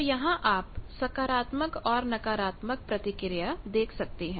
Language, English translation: Hindi, So, you can see the positive and negative reactance